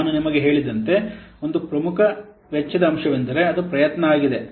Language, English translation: Kannada, Now, as I have a little, one of the most important cost component is effort